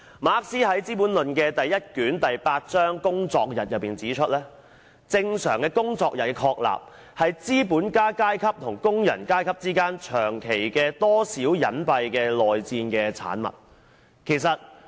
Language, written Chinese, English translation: Cantonese, 馬克思在《資本論》第一卷第八章：工作日中指出，正常工作日的確立是資本家階級與工人階級之間長期的多少隱蔽的內戰的產物。, In The Working Day in Chapter 10 of Volume 1 of Capital Karl MARX pointed out that The creation of a normal working day is therefore the product of a protracted civil war more or less dissembled between the capitalist class and the working - class